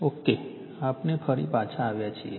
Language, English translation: Gujarati, Ok, we have back again